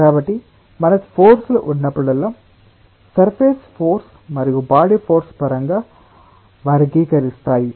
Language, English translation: Telugu, so whenever we are having forces, we will categorize in terms of surface force and body force